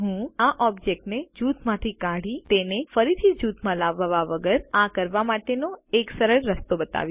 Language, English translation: Gujarati, Let me demonstrate a simple way to do this without having to ungroup and regroup the objects